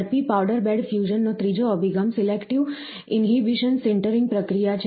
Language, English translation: Gujarati, The third approach to rapid powder bed fusion, is the selective inhibition sintering process